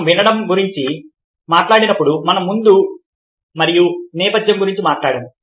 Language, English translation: Telugu, when we talked about listening, we talked about foreground and background